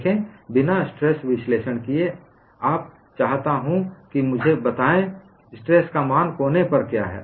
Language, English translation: Hindi, See, without performing a stress analysis, I want you to tell me, what is the value of stress at the corner